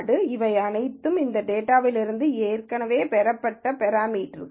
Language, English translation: Tamil, So, these are all parameters that have already been derived out of this data